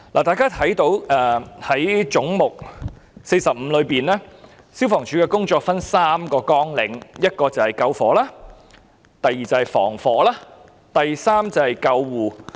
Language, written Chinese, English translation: Cantonese, 大家可以看到，在總目45下，消防處的工作分為3個綱領，第一是消防，第二是防火，第三則是救護。, As we can see the work of FSD is categorized into three programmes under head 45 namely first fire service; second fire protection and prevention; and third ambulance service